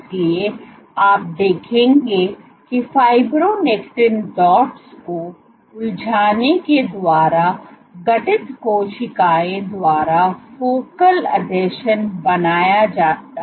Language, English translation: Hindi, So, you will see focal adhesions being formed by the cells, formed by engaging fibronectin dots